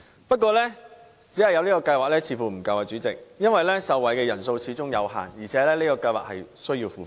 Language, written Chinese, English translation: Cantonese, 不過，代理主席，只有這個計劃似乎並不足夠，因為受惠人數始終有限，而且計劃需要付費。, Having said that Deputy President it seems to be inadequate to have in place only this scheme for the number of people benefitting from it is limited and the scheme itself is fee - charging